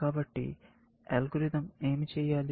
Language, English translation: Telugu, So, what should algorithm do